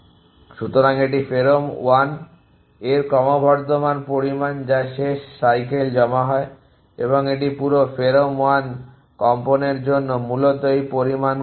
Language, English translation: Bengali, So, this is the incremental amount of pherom1 that and so deposited in the last cycle and this is for tremens of the whole pherom1 essentially an how much is this amount